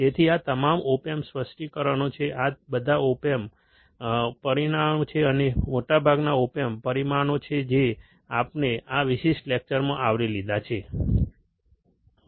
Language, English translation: Gujarati, So, these are all the opamp specifications, these are all the open parameters or most of the opamp parameters that we have covered in this particular lecture, alright